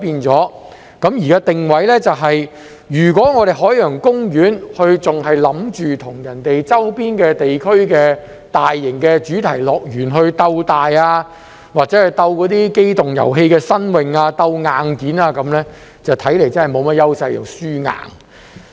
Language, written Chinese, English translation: Cantonese, 在定位上，如果海洋公園還想與周邊地區的大型主題樂園鬥大，或者在機動遊戲上鬥新穎、鬥硬件，那看來真是沒甚麼優勢，是"輸硬"的。, As regards positioning if OP still wants to compete with other major theme parks in the surrounding areas in terms of size novelty in amusement rides or hardware it seems that OP does not have any advantages and will definitely suffer a setback